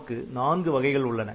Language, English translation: Tamil, So, 4 variants can be there